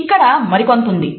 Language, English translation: Telugu, There is something more